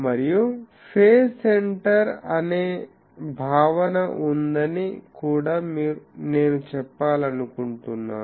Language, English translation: Telugu, And, also I want to say that there is a concept called phase center